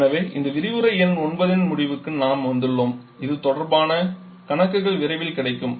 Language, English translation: Tamil, So, that takes us to the end of lecture number 9 the assignments will be available soon